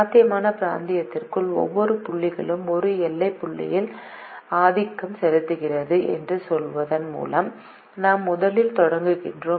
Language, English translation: Tamil, we first start by saying this: every point inside the feasible region is dominated by a boundary point